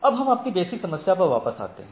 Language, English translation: Hindi, Now, let us come back to our basic problem